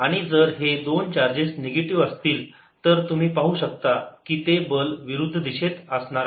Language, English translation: Marathi, if the two charges are negative, then you can see the force in the opposite direction